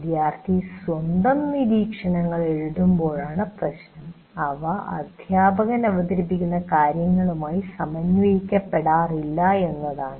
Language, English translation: Malayalam, And the problem is, while you are writing your own observations, you may go out of sync with what is being presented by the teacher